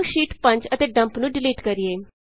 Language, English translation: Punjabi, Let us delete Sheets 5 and Dump